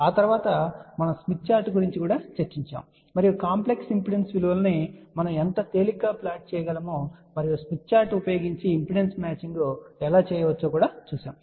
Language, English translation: Telugu, After that we discuss about smith chart, and we actually saw how easily we can plot complex impedance values and also how impedance matching can be done using smith chart